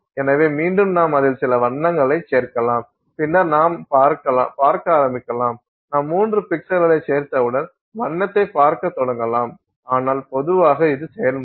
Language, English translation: Tamil, So, then again we can add some color to it and then you start seeing once you add three pixels to it, but in general this is the process